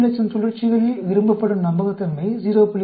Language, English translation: Tamil, The desired reliability at 400,000 cycles is 0